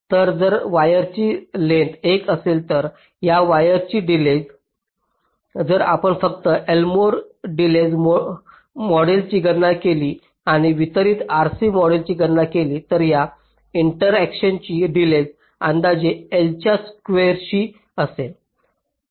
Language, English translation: Marathi, so if this length of the wire is l, so the delay of this wire, if you just compute the l mod delay model and compute the distributed r c model, so the delay of this interconnection will be roughly proportional to the square of l